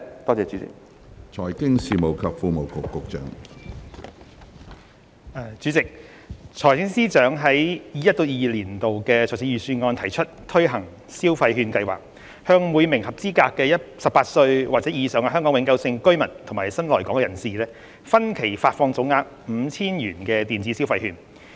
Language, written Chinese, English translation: Cantonese, 主席，財政司司長在 2021-2022 年度財政預算案提出推行消費券計劃，向每名合資格的18歲或以上香港永久性居民及新來港人士，分期發放總額 5,000 元的電子消費券。, President the Financial Secretary has announced the implementation of the Consumption Voucher Scheme the Scheme in the 2021 - 2022 Budget under which electronic consumption vouchers with a total value of 5,000 would be disbursed by instalments to each eligible Hong Kong permanent resident and new arrival aged 18 or above